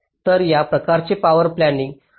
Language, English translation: Marathi, ok, so this kind of a power planning network also you do